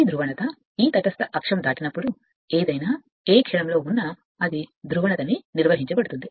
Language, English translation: Telugu, This polarity this will maintain right whenever it is pi or at any instant when it is passing this neutral axis